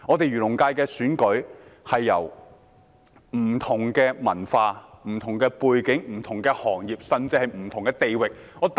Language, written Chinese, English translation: Cantonese, 漁農界的選舉涵蓋不同文化、背景和行業，甚至不同地域。, The election of the Agriculture and Fisheries FC covers a diversity of cultures backgrounds industries and even regions